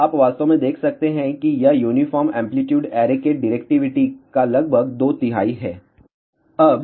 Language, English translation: Hindi, So, you can actually see the directivity of this is about two third of the directivity of uniform amplitude array